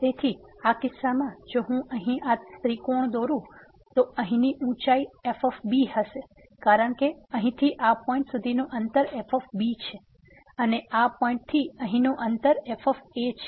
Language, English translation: Gujarati, So, in this case if I draw this triangle here the height here will be because the distance from here to this point is and the distance from this point to this point here is